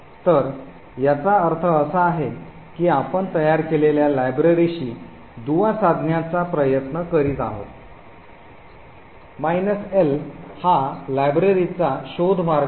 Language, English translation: Marathi, So, this means that we are trying to link to the library that we have created, this minus capital L is the search path for this particular library